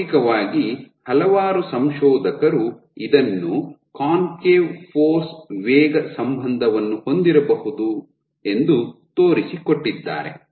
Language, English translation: Kannada, So, experimentally it has been demonstrated by several researchers that you might have a concave force velocity relationship